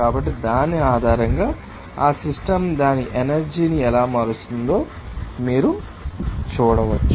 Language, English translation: Telugu, So, based on which you can see that how that system will be changing its energy